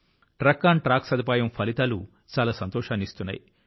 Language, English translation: Telugu, The results of the TruckonTrack facility have been very satisfactory